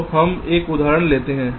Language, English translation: Hindi, lets take this example first